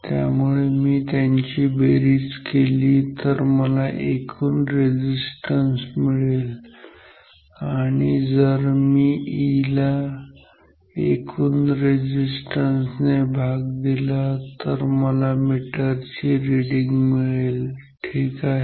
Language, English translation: Marathi, So, if add them I get the total circuit resistance and if I divide E with the total resistance I get the meter reading current I ok